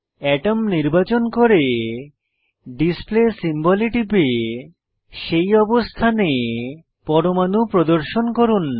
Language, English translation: Bengali, Select Atom and then click on Display symbol, to display atoms at that position